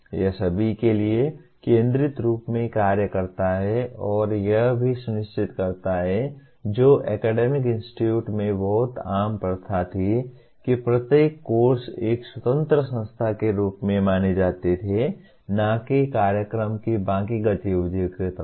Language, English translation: Hindi, That serves as the focus for all and it also ensures what is very common practice in academic institutes to treat each course as an independent entity unrelated to the rest of the activities in the program